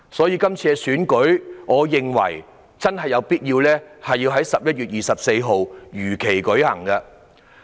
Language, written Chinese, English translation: Cantonese, 因此，我認為有必要讓這次選舉在11月24日如期舉行。, Therefore I consider it necessary to conduct the DC Election on 24 November as scheduled